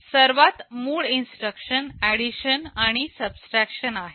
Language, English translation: Marathi, The most basic instructions are addition and subtraction